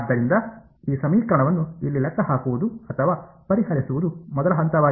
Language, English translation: Kannada, So, the first step is to calculate or rather solve this equation over here